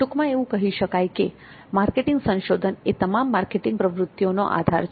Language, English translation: Gujarati, So as a summary, marketing research is the base for all marketing activities